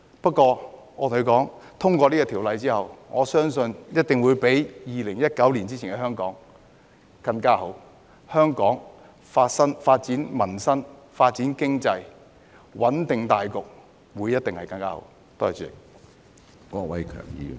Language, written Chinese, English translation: Cantonese, 不過，我又跟他們說，《條例草案》通過後，相信一定會比2019年前的香港更加好，香港可以關顧民生、發展經濟、穩定大局，一定會更加好。, However I also told them that after the passage of the Bill I believe Hong Kong will be better than the pre - 2019 Hong Kong and we will be able to care for peoples livelihood develop the economy and stabilize the overall situation in Hong Kong